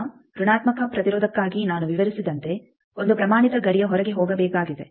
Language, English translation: Kannada, Now for negative resistance one needs to go outside of the standard boundary as I explained